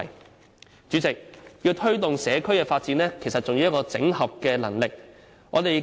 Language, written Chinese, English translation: Cantonese, 代理主席，要推動社區發展，其實還需要整合能力。, Deputy President in order to promote community development we need some ability of integration